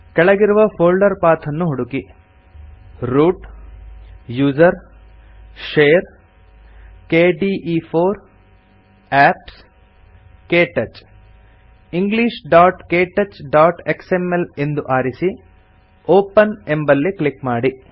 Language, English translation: Kannada, Browse the flowing folder path Root usr share kde4 apps Ktouch And select english.ktouch.xml and click Open